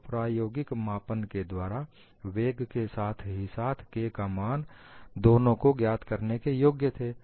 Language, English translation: Hindi, So, they were able to find out from the experimental measurement, both the value of K as well as the velocity